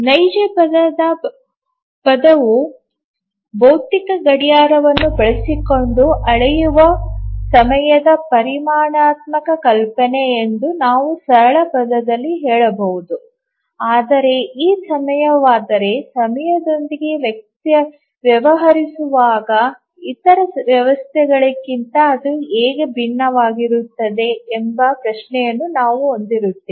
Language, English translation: Kannada, Actually in the simplest term we can say that real time is a quantitative notion of time measured using a physical clock, but then we will have the question that then this is time, so how is it different from other systems, they also deal with time